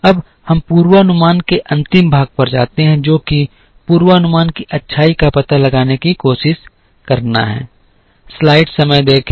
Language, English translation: Hindi, Now, we come to the last part of the forecasting which is to try and find out the goodness of a forecast